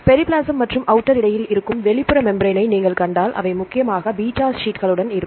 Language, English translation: Tamil, And if you see the outer membrane that is between periplasm and outer space, they are mainly with the beta sheets